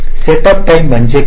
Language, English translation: Marathi, setup time is what